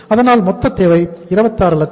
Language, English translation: Tamil, So total requirement is 26 lakhs